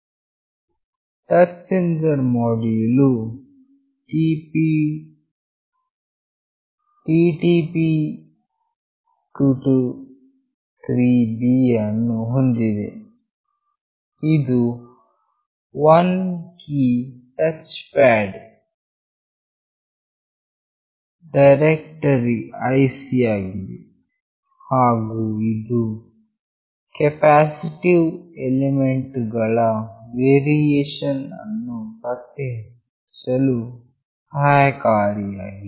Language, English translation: Kannada, The touch sensor module contains this TTP223B which is a 1 key touch pad detector IC and is suitable to detect capacitive element variations